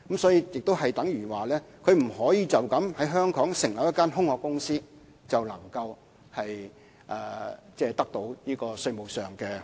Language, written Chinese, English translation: Cantonese, 所以，亦等於它不可以單靠在香港成立一間空殼公司，然後便可以得到這些稅務優惠。, Hence such corporations would not be eligible for the proposed tax concessions simply by establishing a shell company in Hong Kong